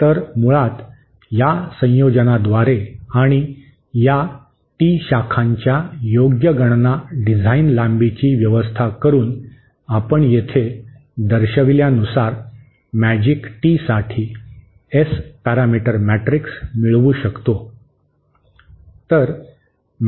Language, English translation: Marathi, So, basically by a combination of this and by suitably arranging the suitably calculate designing length of these tee branches, we can obtain the S parameter matrix for the Magic Tee as shown here